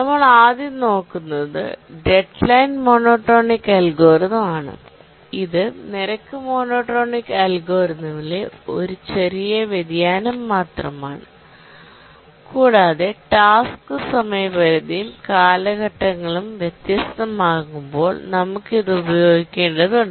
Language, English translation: Malayalam, The first one we look at is the deadline monotonic algorithm, just a small variation of the rate monotonic algorithm and this we need to use when the task deadline and periods are different